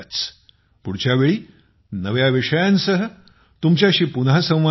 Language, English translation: Marathi, See you again, next time, with new topics